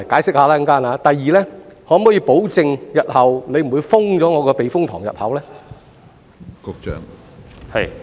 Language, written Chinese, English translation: Cantonese, 此外，局長可否保證日後不會關閉避風塘入口呢？, In addition can the Secretary guarantee that the entrance of the typhoon shelter will not be closed in the future?